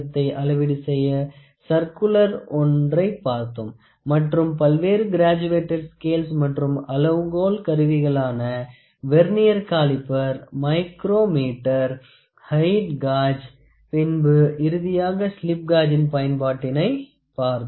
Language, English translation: Tamil, So, V block then we saw various graduated scales and different scale instruments Vernier caliper, micrometer, height gauge and then finally, we saw use of slip gauges